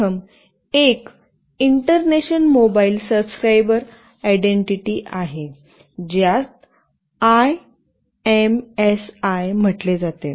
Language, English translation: Marathi, The first one is International Mobile Subscriber Identity, which is called IMSI